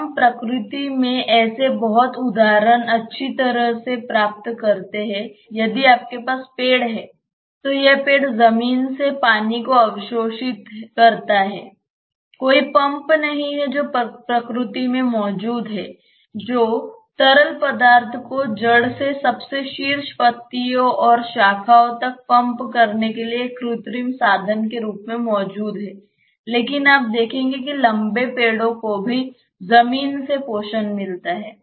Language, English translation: Hindi, We get such examples in nature very nicely that is if you have trees this tress absorb water from the ground there is no pump which is existing in the nature as an artificial mean of pumping the fluid from the root to the top most leaves and branches, but you will see tall trees also get nutrition from the ground